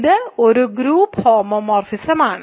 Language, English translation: Malayalam, So, it is a group homomorphism